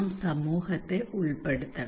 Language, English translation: Malayalam, We have to involve community